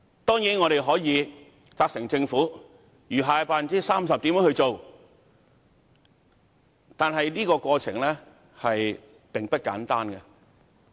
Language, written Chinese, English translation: Cantonese, 當然，我們可以責成政府處理餘下的 30%， 但這過程並不簡單。, Certainly we can make the Government take steps to handle the remaining 30 % but it is not going to be an easy task